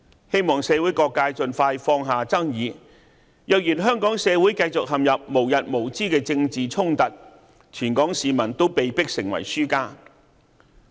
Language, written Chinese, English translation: Cantonese, 希望社會各界盡快放下爭議，若然香港社會繼續陷入無日無之的政治衝突，全港市民都被迫成為輸家。, People from all walks of life should put aside their disputes as quickly as possible . If Hong Kong falls into a never - ending political conflict all people of Hong Kong will become losers